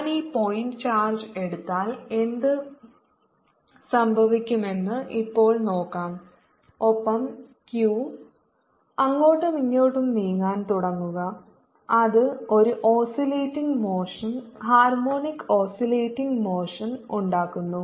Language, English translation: Malayalam, let us see now what happens if i take this point charge and start moving back and forth q, which is making a oscillating motion, harmonic oscillating motion